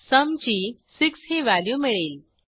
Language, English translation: Marathi, And we get sum as 6